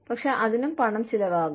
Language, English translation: Malayalam, But, that also costs money